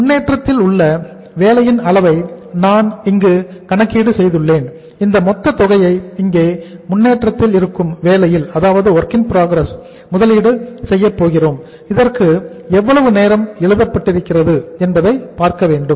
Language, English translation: Tamil, I have calculated here the amount of work in progress which is say something like uh total amount which we are going to have here investment in the work in progress here that we have to see that how much time the it is written here